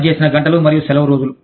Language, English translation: Telugu, Number of hours worked and vacation days